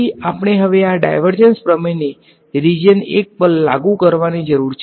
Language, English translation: Gujarati, So, we need to now apply this divergence theorem to region 1 over here ok